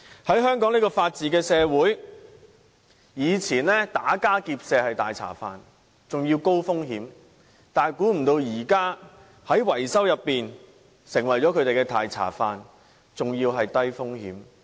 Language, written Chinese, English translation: Cantonese, 在香港這個法治社會，以前打家劫舍是"大茶飯"，而且高風險，想不到如今維修卻成為他們低風險的"大茶飯"。, Hong Kong is a society where the rule of law prevails and while the gangsters used to make lucrative gains from engaging in robberies with high risks no one could have imagined that building maintenance has now become a way for them to make lucrative gains with low risks